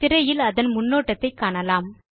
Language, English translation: Tamil, You see that the preview of the file on the screen